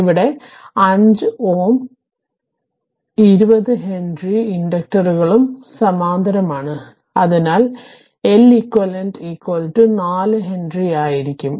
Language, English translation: Malayalam, So, 5 ohm 5 ohm henry and 20 henry inductors are in parallel therefore, l equivalent is equal to 4 henry right